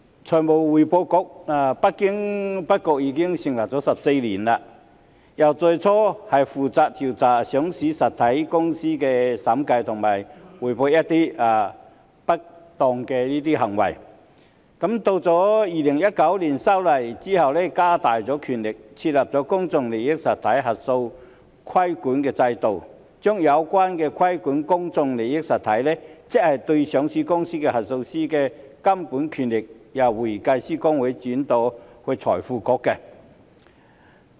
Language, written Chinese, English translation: Cantonese, 財務匯報局不經不覺已經成立了14年，由最初負責調査上市實體的審計及匯報一些不當行為，到2019年修例後加大了權力，設立公眾利益實體核數師規管制度，將有關規管公眾利益實體，即上市公司核數師的監管權力，由香港會計師公會轉移到財匯局。, Imperceptibly the Financial Reporting Council FRC has been established for 14 years . It was initially responsible for investigating auditing and reporting irregularities in relation to listed entities . Its power increased after the legislative amendment exercise in 2019 with the introduction of a regulatory regime for auditors of public interest entities PIE by transferring regulatory powers of the Hong Kong Institute of Certified Public Accountants HKICPA in respect of auditors of PIE namely listed companies to FRC